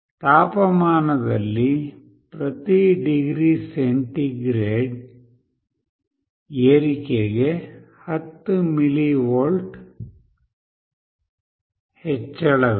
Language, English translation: Kannada, There is a 10 mV increase for every degree centigrade rise in temperature